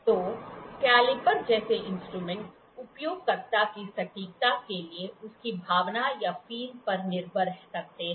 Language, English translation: Hindi, So, the instrument such as caliper depends on the feel of the user for their precision